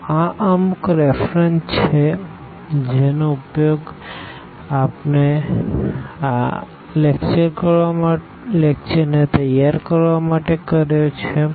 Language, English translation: Gujarati, So, these are the references I used for preparing the lectures and